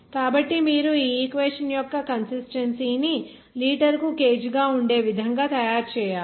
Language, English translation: Telugu, So you have to make the consistency of the equation in such a way that the dimension of that should be kg per liter